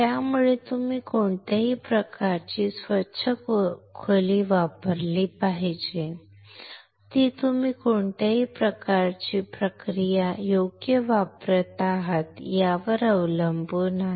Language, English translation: Marathi, So, which kind of clean room you should use that depends on what kind of process you are using right